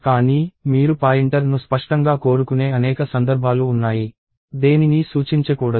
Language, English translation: Telugu, But, there are several cases where you explicitly want the pointer, not to point at anything at all